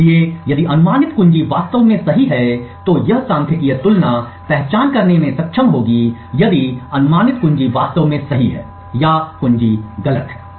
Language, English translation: Hindi, So, if the guessed key is indeed correct this statistical comparison would be able to identity if the guessed key is indeed correct or the key is wrong